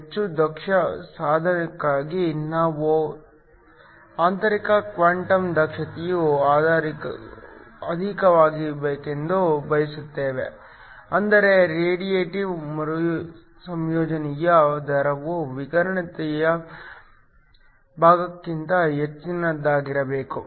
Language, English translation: Kannada, For a highly efficient device we want the internal quantum efficiency to be high, which means the radiative recombination rate must be much higher than the non radiative part